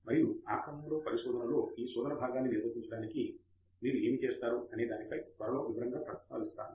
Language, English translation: Telugu, And that of course we will expand shortly on that as to what you do to carry out this searching part in research